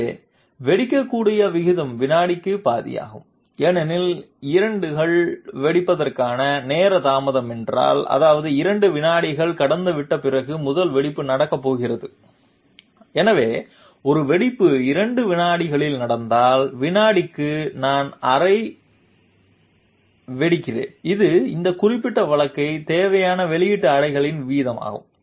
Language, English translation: Tamil, So the answer is the rates of detonation are, so the rate at which the detonations are supposed to take place that is half per second because if 2 is the time delay for detonation, that means the first detonation is going to take place after 2 seconds have passed and therefore, if one detonation takes place in 2 seconds therefore, per second I am having half a detonation this is the rate of output pulses required for this particular case